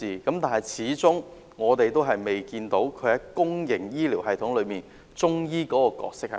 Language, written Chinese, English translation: Cantonese, 但是，我們始終未看到中醫在公營醫療系統中的角色定位。, Nonetheless we still have not seen any defined role of Chinese medicine in the public health care system